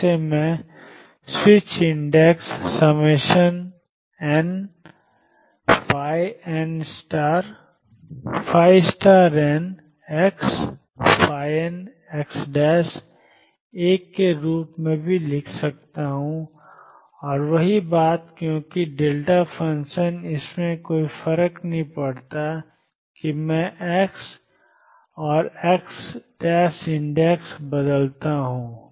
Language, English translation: Hindi, Which I also can write as switch the indices summation n phi n star x phi n x prime s 1 and the same thing because delta function it does not matter if I change x and x prime indices